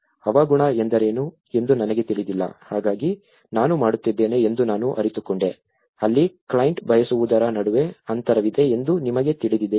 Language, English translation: Kannada, I don’t know what is a climate, so it is only just I was doing I realized that you know that’s where there is a gap between what the client wants